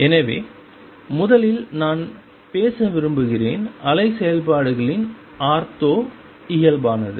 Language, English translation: Tamil, So, first in that I want to talk about is the ortho normality of wave functions